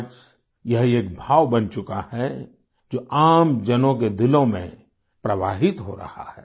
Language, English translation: Hindi, Today it has become a sentiment, flowing in the hearts of common folk